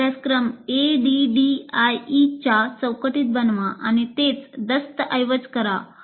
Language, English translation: Marathi, And design your courses in the framework of ADI and document the same